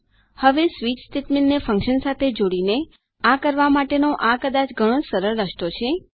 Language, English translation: Gujarati, Now theres probability a much easier way to do this by combining the switch statement with a function